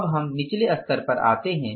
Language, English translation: Hindi, Now, we come to the lower level